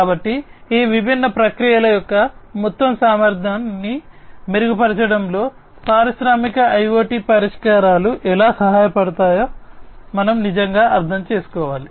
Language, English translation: Telugu, So, what needs to be done is we need to really understand that how industrial IoT solutions can help in improving the overall efficiency of these different processes